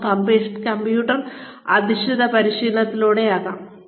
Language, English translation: Malayalam, It could even be through computer based training